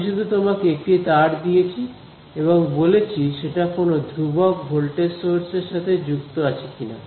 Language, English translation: Bengali, I do not know right, I gave you a wire all I told you whether it is connected to a constant voltage source